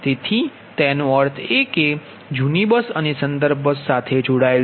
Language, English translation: Gujarati, so that means that means that old bus connected to the reference bus